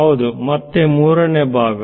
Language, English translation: Kannada, Yes, the third part again